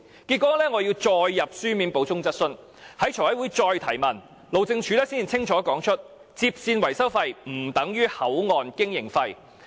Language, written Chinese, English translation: Cantonese, 結果我要再提交書面補充質詢，在財委會再提問，路政署才清楚指出，接線維修費不等於口岸經營費。, Consequently I needed to once again submit a written supplementary question and asked again at a Finance Committee meeting only then did the Highways Department clearly pointed out that HKLR maintenance cost is not the same as HKBCF operating cost